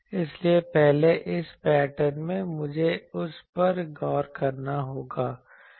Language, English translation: Hindi, So, first in this pattern, I will have to look at that